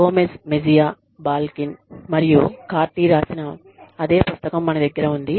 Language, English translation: Telugu, We have the same book, by Gomez Mejia, Balkin, and Cardy